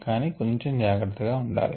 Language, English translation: Telugu, be a little careful